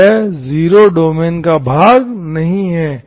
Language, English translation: Hindi, So 0 is not part of the domain, okay